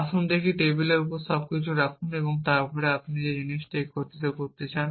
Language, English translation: Bengali, Let us see just put everything on the table and then assemble the thing that you want to assemble